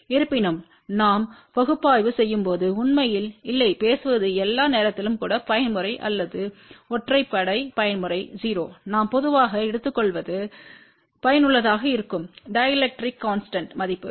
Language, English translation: Tamil, However, when we do the analysis we don't really speaking take all the time even mode or odd mode epsilon 0, what we take generally is effective value of the dielectric constant